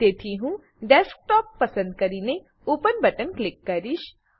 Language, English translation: Gujarati, So, I will select Desktop and click on the Open button